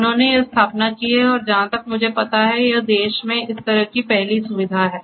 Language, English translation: Hindi, So, they have done this installation and this is as far as I know of this is the first such facility in the nation